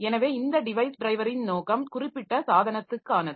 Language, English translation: Tamil, So, the purpose of this device drivers, device specific drivers, they cannot be ignored